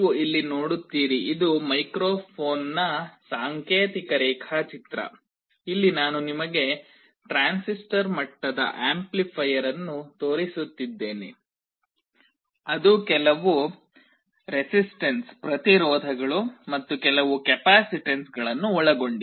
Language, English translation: Kannada, You see here this is the symbolic diagram of a microphone here I am showing you a transistor level amplifier which consists of some resistances and some capacitances